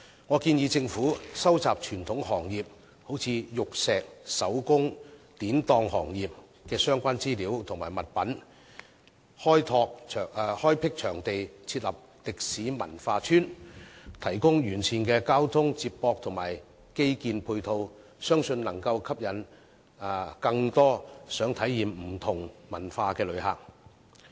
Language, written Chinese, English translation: Cantonese, 我建議政府收集傳統行業，例如玉石、手工、典當行業的相關資料和物品，開闢場地設立"歷史文化村"，提供完善的交通接駁和基建配套，相信能夠吸引更多想體驗不同文化的旅客。, I suggest that the Government should collate information and articles relating to the traditional industries of Hong Kong such as jade arts and crafts the pawn industry and then earmark a site for setting up a historical and cultural village as well as provide comprehensive transport link and infrastructure support . It is believed that this will attract more visitors who are eager to have a taste of different cultures